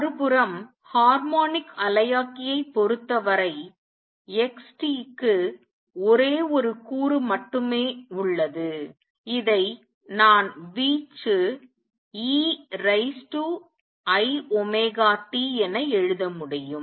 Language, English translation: Tamil, On the other hand, in the case of harmonic oscillator x t has only one component and I can write this as the amplitude e raise to i omega t